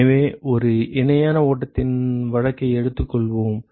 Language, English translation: Tamil, So, let us take the case of a parallel flow ok